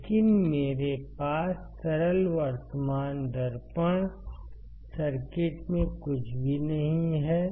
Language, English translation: Hindi, I should have these 2 points, but I have nothing in in simplest current mirror circuit